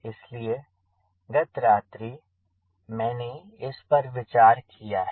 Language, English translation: Hindi, so i have just given the thought in the night